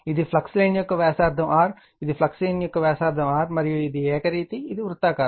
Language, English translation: Telugu, This is the radius of the flux line your r right, this is your radius of the flux line is r right and your this is uniform, it is a circular